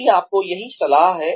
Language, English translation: Hindi, That is my advice to you